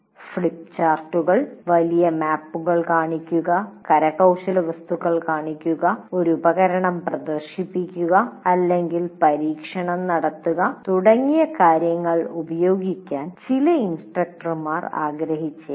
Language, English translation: Malayalam, And some instructors may wish to use big things like flip chart, show large maps, show artifacts, demonstrate a device, or conduct an experiment